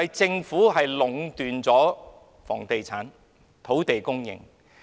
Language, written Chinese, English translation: Cantonese, 政府其實壟斷了房地產和土地供應。, The Government has actually monopolized the housing and land supply